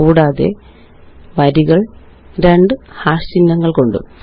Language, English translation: Malayalam, And the rows are separated by two hash symbols